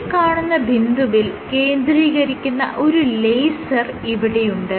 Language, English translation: Malayalam, So, you have a laser which focuses at this point